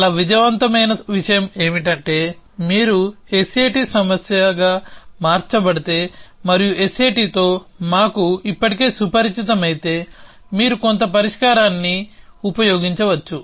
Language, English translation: Telugu, So, one thing that was very successful was that if you converted into a S A T problem and we already familiar with S A T and then you could use some solver